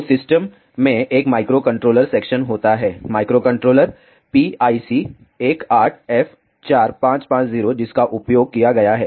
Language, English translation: Hindi, So, the system consists of a microcontroller section the microcontroller used is PIC 18 F 4550